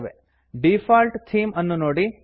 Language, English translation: Kannada, See the Default Theme here